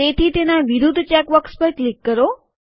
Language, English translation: Gujarati, So click on the check box against it